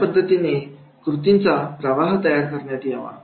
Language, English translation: Marathi, That is the how this flow of action will go